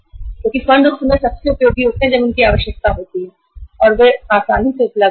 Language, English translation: Hindi, Because funds are most useful at that time when they are required and they are easily available